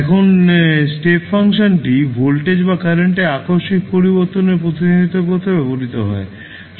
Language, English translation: Bengali, Now, step function is used to represent an abrupt change in voltage or current